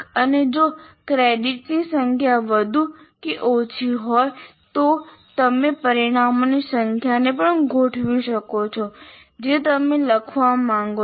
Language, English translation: Gujarati, And if the number of credits are more or less, you can also adjust the number of outcomes that you want to write